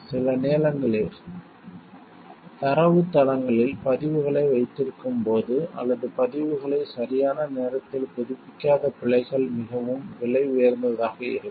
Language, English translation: Tamil, Sometimes the errors made while keeping records in databases or not updating the records on time could prove to be very costly